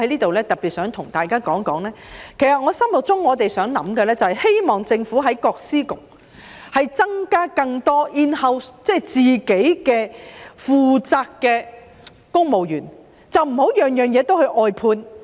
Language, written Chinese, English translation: Cantonese, 我在此特別想對大家說，我們希望政府在各司局增加更多自己負責的公務員職位，而不是甚麼事情也外判。, I would like to specifically tell Members here that we hope the Government will increase the number of in - house civil service posts in the departments and bureaux instead of outsourcing all services